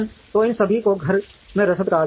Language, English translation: Hindi, So, all these come under what are called in house logistics